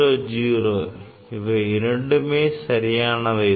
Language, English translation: Tamil, 00 both are same right, 200